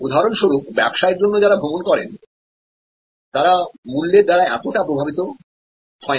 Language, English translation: Bengali, So, business travelers for example, they are not so much affected by pricing